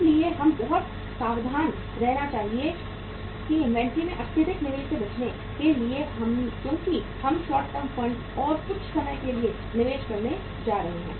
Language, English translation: Hindi, So we should be very careful that to avoid excessive investment in the inventory because we are going to invest the short term funds and sometime what happens